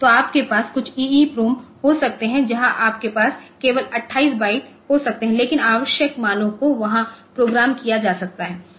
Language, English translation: Hindi, So, you can have some EEPROM where you can have only 28 bytes are there, but the essential values can be programmed there